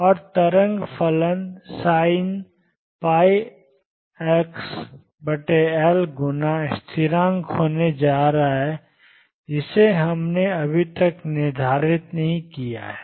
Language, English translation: Hindi, And the wave function is going to be sin pi over L x times a constant a which we have not determined so far